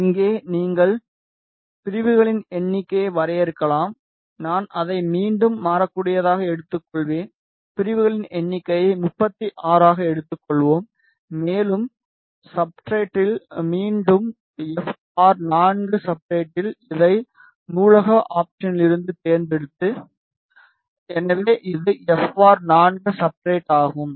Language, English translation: Tamil, Here you can define the number of segments, I will take it as may be variable again we will define the number of segments let us take it as 36 and the substrate again FR4 substrate selected from the library option